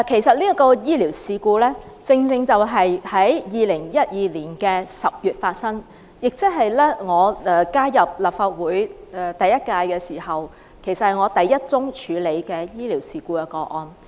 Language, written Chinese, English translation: Cantonese, 這宗醫療事故在2012年10月發生，是我加入立法會後處理的首宗醫療事故個案。, This medical incident took place in October 2012 . It was the first medical case I handled after I joined the Legislative Council